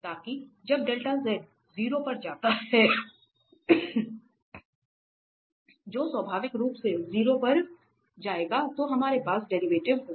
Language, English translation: Hindi, So that when delta z goes to 0 naturally this will go to 0, so we have the derivative here